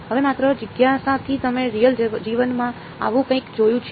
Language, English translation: Gujarati, Now just out of curiosity have you seen something like this in real life